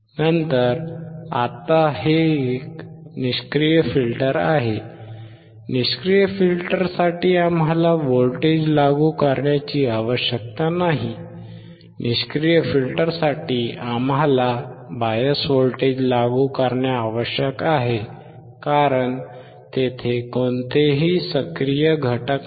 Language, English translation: Marathi, Later on, now this is a passive filter, for passive filter we do not require to apply the voltage, for passive filter we required to apply the biased voltage because there is no active, component